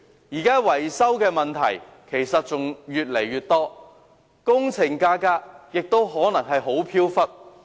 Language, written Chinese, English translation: Cantonese, 現時出現的維修問題越來越多，工程價格亦可能相當飄忽。, There are now increasingly more problems concerning building maintenance and the prices of such works may be fluctuating